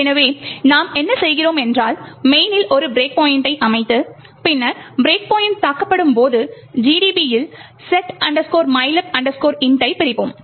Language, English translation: Tamil, So, what we do is we set a breakpoint in main and then when the breakpoint is hit, we do a disassemble setmylib int in GDB